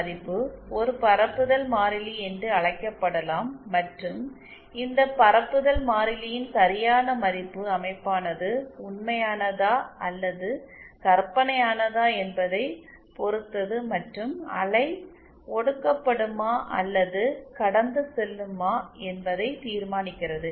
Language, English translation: Tamil, can be termed as a propagation constant and the proper value of this propagation constant depends on whether the game is real or imaginary and determines whether the wave will be attenuated or passed